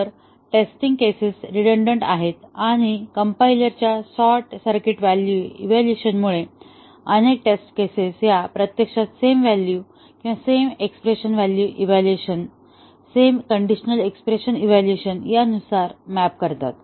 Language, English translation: Marathi, So, the test cases are redundant because due to the short circuit evaluation of the compiler, many of the test cases, they actually map to the same values or same expression evaluation, same conditional expression evaluation results